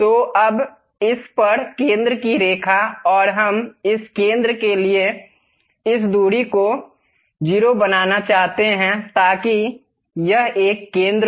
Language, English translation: Hindi, So, now the center line at this and we want to make this distance to this center line to be 0